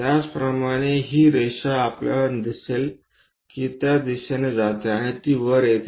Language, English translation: Marathi, Similarly, this line we will see it as that there is going in that direction that goes in that way and it goes up comes there